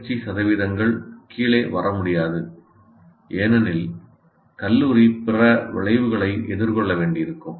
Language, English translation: Tamil, Past percentages cannot come down because then the college will have to face some other consequences